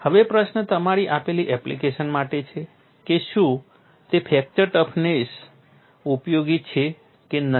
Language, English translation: Gujarati, Now, the question is for your given application, whether that fracture toughness is useful or not